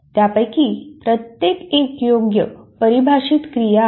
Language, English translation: Marathi, Each one of them is a well defined activity